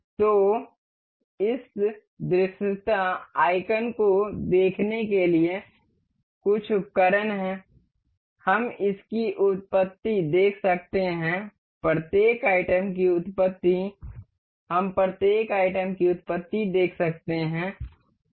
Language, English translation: Hindi, So, there are some tools to see this visibility icon, we can see the origin of this, origin of each of the items, we can see origin of each items